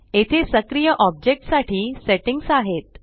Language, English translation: Marathi, Here are the settings for the active object